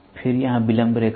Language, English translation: Hindi, Then here delay line